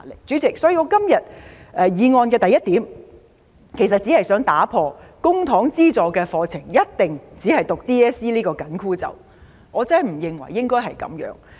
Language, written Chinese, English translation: Cantonese, 主席，我原議案的第一點，只是想打破公帑資助的課程一定只讀 DSE 這個"緊箍咒"，我真的不認為應該這樣。, President I have included point 1 in my original motion just to break the crown - tightening spell that a student must only take the DSE curriculum under publicy - funded programmes . I really do not think that should be the case